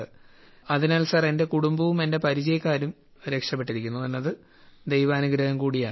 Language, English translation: Malayalam, So sir, it is God's grace that my family and most of my acquaintances are still untouched by this infection